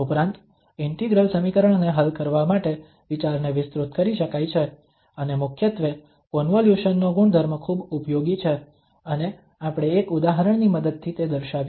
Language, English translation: Gujarati, Also, the idea can be extended for solving the integral equations and mainly the property of the convolution is very much useful and we have demonstrated with the help of one example